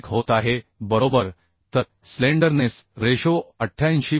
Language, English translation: Marathi, 91 right So slenderness ratio is coming 88